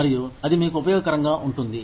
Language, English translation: Telugu, And, that might be, helpful for you